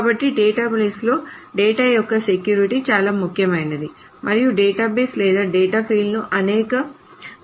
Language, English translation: Telugu, So security of the data is paramount in databases and the database or the data fields can be made secure in multiple ways